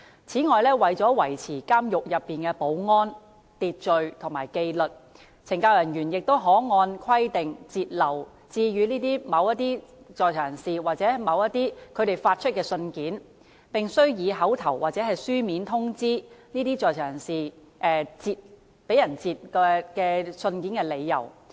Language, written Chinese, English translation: Cantonese, 此外，為了維持監獄內的保安、秩序及紀律，懲教人員可按規定，截留致予某在囚人士或由某在囚人士發出的信件，並須以口頭或書面通知該在囚人士截留該信件的理由。, Moreover in order to maintain the security order and discipline in a prison CSD officers may in accordance with the rules withhold letters sent to certain inmates or letters sent out by certain inmates but an oral or written notice must be given to the inmate concerned explaining the reason for withholding the letter